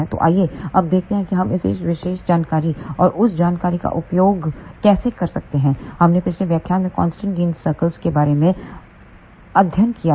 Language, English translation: Hindi, So, let us see now how we can use this particular information and the information which we had studied in the previous lectures about the constant gain circles